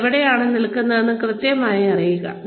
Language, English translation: Malayalam, Know exactly, where you stand